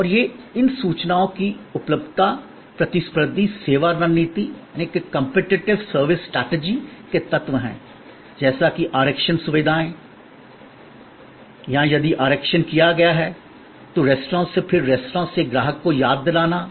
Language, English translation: Hindi, And these, availability of these information are elements of competitive service strategy as are reservation facilities or if the reservation has been done, then remainder from the restaurant to the customer